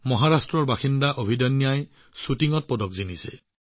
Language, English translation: Assamese, Abhidanya, a resident of Maharashtra, has won a medal in Shooting